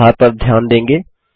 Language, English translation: Hindi, You will notice the correction